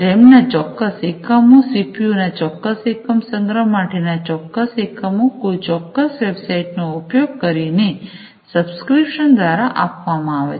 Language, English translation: Gujarati, Certain units of RAM, certain units of CPU, certain units of storage etcetera, you know, these are offered through some kind of a subscription using a particular website